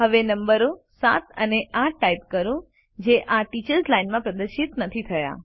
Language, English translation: Gujarati, Now, lets type the numbers seven amp eight, which are not displayed in the Teachers Line